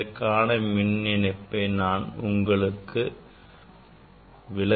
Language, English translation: Tamil, here electrical connection I think I can show you